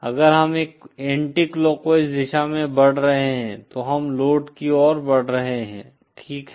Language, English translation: Hindi, If we are moving in an anticlockwise direction then we are moving towards the load, ok